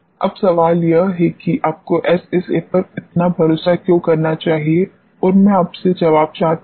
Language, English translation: Hindi, Now, the question is why you should rely so, much on SSA and I want to get an answer from you